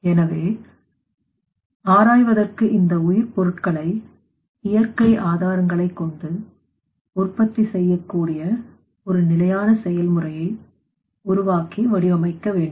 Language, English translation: Tamil, Now to explore it is required to develop and design a sustainable process by which you can produce this bio fuels from the you know that natural sources